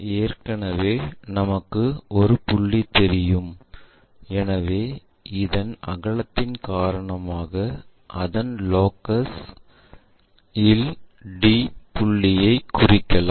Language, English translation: Tamil, Already we know this a point, already we know a point, so the on that locus because of this breadth we can locate d point also